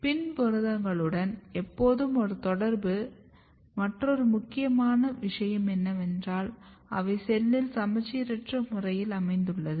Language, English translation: Tamil, Another very important thing which is always associated with the PIN proteins are that they can be asymmetrically localized in the cell